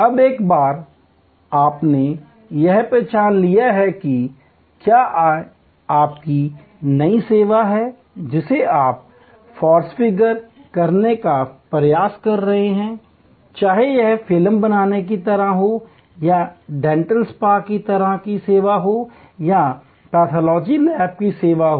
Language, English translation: Hindi, Now, once you have identified that, whether it is your new service that you are trying to configure, whether it is like a movie making type of service or like a dental spa type of service or a pathology lab type of service